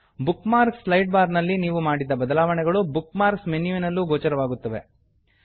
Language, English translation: Kannada, Changes you make in the Bookmarks Sidebar are also reflected in the Bookmarks menu